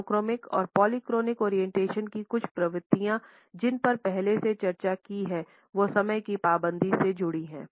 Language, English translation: Hindi, Certain tendencies of monochronic and polychronic orientations which we have already discussed are related with punctuality